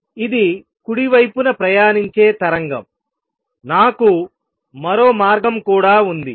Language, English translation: Telugu, This is a wave travelling to the right, I also have another way